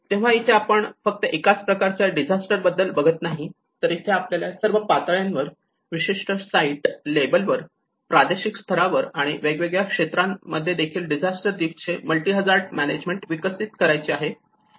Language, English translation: Marathi, So that is how we are not just dealing only with one set of disaster, but it has to go with the multi hazard management of disaster risk in the development at all levels both at site level, the specific site level and also the regional level and also various sectors